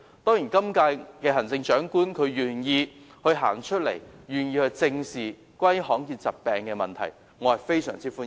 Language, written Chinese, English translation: Cantonese, 當然，現任行政長官願意走出來正視罕見疾病的問題，我對此表示非常歡迎。, Certainly I very much welcome the willingness of the incumbent Chief Executive to come forward to address the rare disease problem squarely